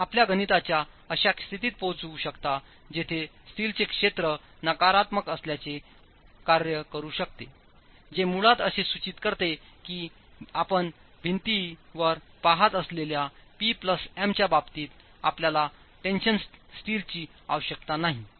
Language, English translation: Marathi, You might arrive at a state in your calculations where the area of steel may work out to be negative, which basically implies that you don't need tension steel in the case of the P plus M that you're looking at in the wall